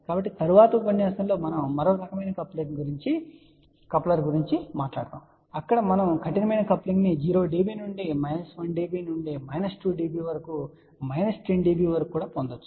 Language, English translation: Telugu, So, in the next lecture we will talk about another type of a coupler where we can get a tighter coupling may be even a 0 db to minus 1 db to minus 2 db up to about minus 10 db